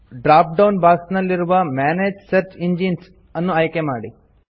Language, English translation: Kannada, In the drop down box, select Manage Search Engines